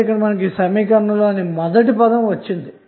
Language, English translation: Telugu, So you have got first term of the equation